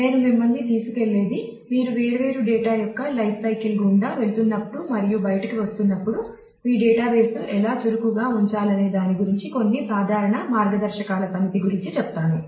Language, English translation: Telugu, So, what I will take you through are a set of few common guidelines about how to keep your database agile while you are you go through the life cycle of different data coming in and going out